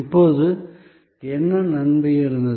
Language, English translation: Tamil, Now, what was the advantage